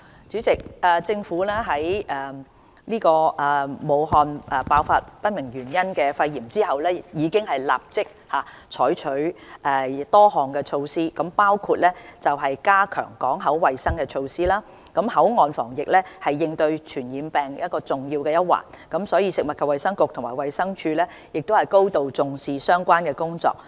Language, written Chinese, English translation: Cantonese, 主席，政府在武漢爆發不明原因的肺炎後，已立即採取多項措施，包括：加強港口衞生措施口岸防疫是應對傳染病的重要一環，食物及衞生局和衞生署高度重視相關工作。, President the Government has adopted various immediate measures after an outbreak of pneumonia with unknown causes in Wuhan . These measures include Strengthening port health measures . Prevention measures at boundary control points are important elements in tackling communicable diseases